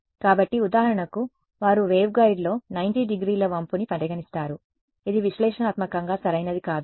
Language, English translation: Telugu, So, for example, they consider a 90 degree bend in the waveguide which you would not be solve analytically right